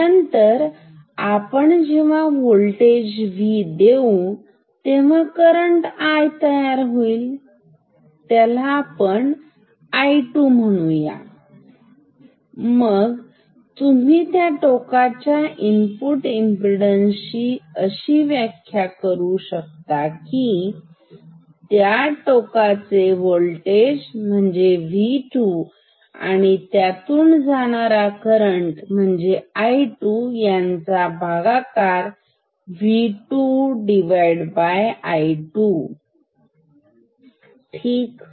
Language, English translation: Marathi, Then when you apply this voltage it will draw some current call it I 2, then you can also then you can define the input impedance of this terminal, input impedance of this terminal, terminal 2 this is V 2 by I 2 ok